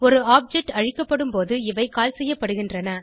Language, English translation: Tamil, They are called when an object is destroyed